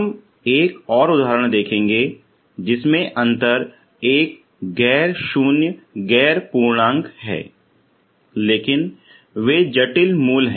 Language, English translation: Hindi, So we will see another example in which difference is a non zero non integer but they are complex roots, okay